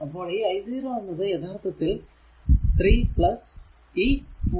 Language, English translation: Malayalam, So, i 0 is equal to actually it is 3 plus these 0